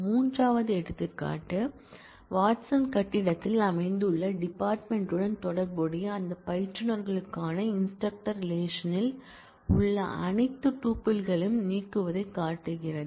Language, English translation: Tamil, The third example shows delete all tuples in the instructor relation for those instructors, associated with the department located in the Watson building